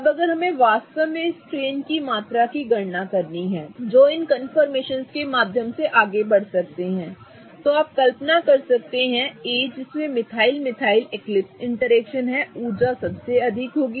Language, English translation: Hindi, Now if we really have to calculate the amount of strain that gets put on as we move through this particular confirmations, you can imagine that A which has the methyl methyl ethyl eclipsing interaction will be highest in energy